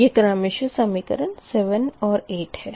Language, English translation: Hindi, this is equation seven, right